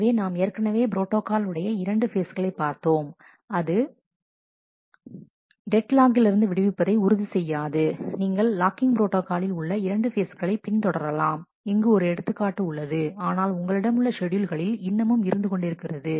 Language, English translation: Tamil, So, the two phase protocol we have already seen that does not ensure freedom from deadlock, you can may follow 2 phase locking protocol here is an example, but you may still have schedules which will have deadlocks